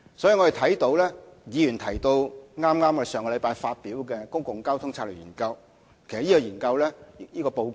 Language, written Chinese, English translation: Cantonese, 議員剛才提及我們剛於上星期發表的《公共交通策略研究報告》。, Earlier on Members talked about the Public Transport Strategy Study Report the Report published by the Government just last week